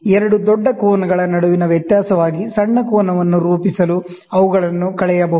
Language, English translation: Kannada, They can be subtracted to form a smaller angle as a difference between two large angles